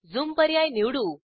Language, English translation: Marathi, Lets select Zoom option